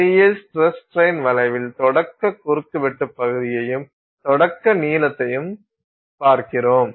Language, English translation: Tamil, In an engineering stress and engineering strain you are looking at your starting cross sectional area and starting length so to speak